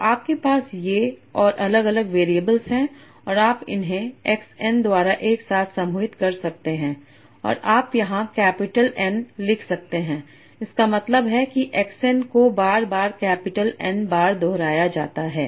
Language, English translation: Hindi, So you are having these and different variables and you can group them together by x n and you write here capital n that means axon is repeated capital n times